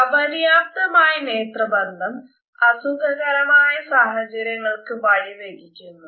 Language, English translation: Malayalam, Inadequate eye contact results in very awkward situations